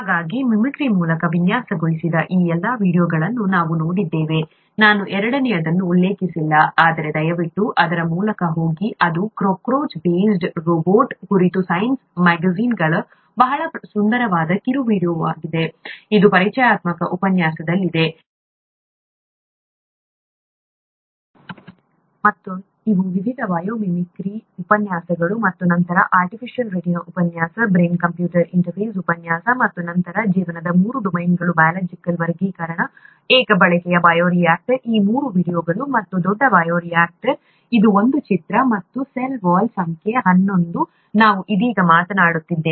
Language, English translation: Kannada, So we have seen all these videos designed through mimicry; I did not mention the second one, but please go through it, it’s a very nice short video from the science magazine about a cockroach based robot, this is in the introductory lecture, and these were the various biomimicry lectures and then the artificial retina lecture, brain computer interface lecture, and then the three domains of life, biological classification, single use bioreactor; these three were videos and the large bioreactor, this is an image, and the cell wall number eleven is what we are talking about right now